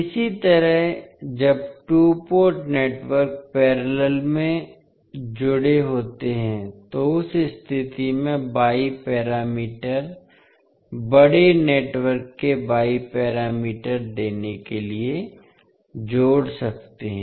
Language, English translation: Hindi, Similarly, in the case when the two port networks are connected in parallel, in that case Y parameters can add up to give the Y parameters of the larger network